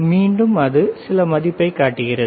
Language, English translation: Tamil, Again, it is showing some value all right